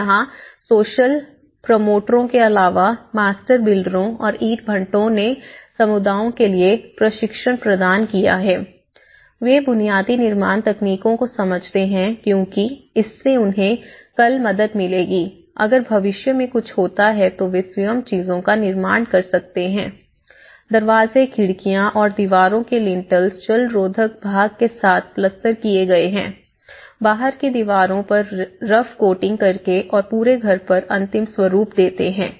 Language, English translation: Hindi, And here, the master builders apart from the social promoters, the master builders and the bricklayers have provided training for the communities so that you know, they understand the basic construction techniques because that will help them tomorrow, if something happens they can do by themselves and the lintels of the doors and windows and the walls has been finished with all the plastering and the waterproofing part of it